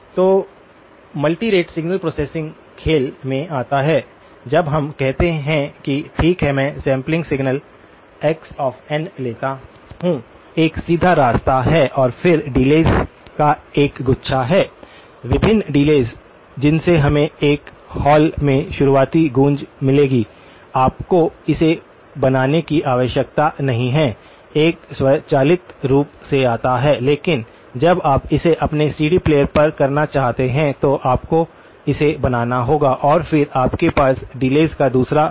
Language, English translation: Hindi, So, the multirate signal processing comes into play when we say that okay, I take the sample signal x of n, there is a direct path and then there is a bunch of delays; different delays from which we will get the early echoes in a hall, you do not have to create this, this comes automatically but when you want to do it on your CD player, you have to create that and then you have a second set of delays